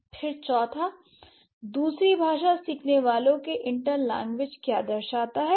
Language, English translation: Hindi, Then the fourth one, what characterizes the inter languages of second language learners